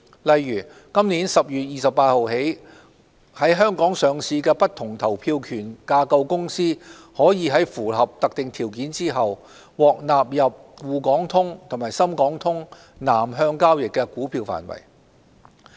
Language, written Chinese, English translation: Cantonese, 例如自今年10月28日起，在港上市的不同投票權架構公司可在符合特定條件後，獲納入滬港通和深港通南向交易的股票範圍。, For instance with effect from 28 October this year companies with a weighted voting rights structure as listed in Hong Kong could be included as eligible securities under the Southbound Trading of Shanghai - Hong Kong Stock Connect and Shenzhen - Hong Kong Stock Connect upon fulfilment of certain criteria